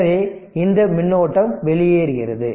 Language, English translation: Tamil, So, this current is leaving